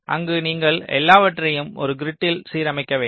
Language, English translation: Tamil, so there you have to align everything to a grid